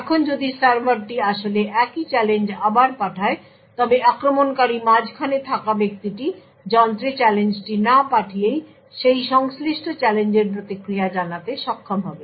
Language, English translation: Bengali, Now if the server actually sent the same challenge again, the man in the middle the attacker would be able to actually respond to that corresponding challenge without actually forwarding the challenge to the device